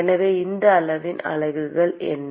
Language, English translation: Tamil, So, what are the units of this quantity